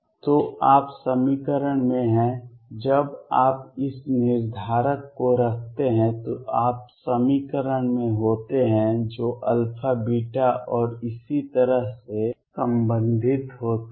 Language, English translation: Hindi, So, you are in equation when you put this determinant you are in equation that relates alpha, beta and so on